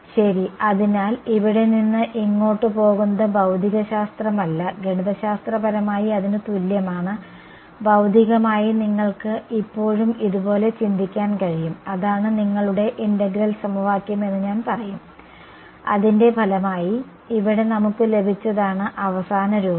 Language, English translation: Malayalam, Right; so, this going from here to here is just not physics, but math mathematically its equivalent ok, physically you can still think of it like this and that is your what should I say that that is your I mean the integral equation that, we have got as a result over here is the final form